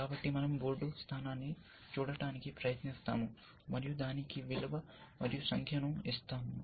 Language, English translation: Telugu, So, we try to look at a board position, and give it a value, give it a number